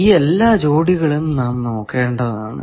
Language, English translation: Malayalam, All these pairs, we will have to identify and find